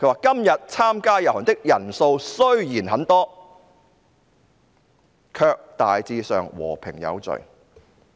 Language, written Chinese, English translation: Cantonese, "今日參加遊行的人數雖然很多，卻大致上和平有序。, It said the march though large was generally peaceful and orderly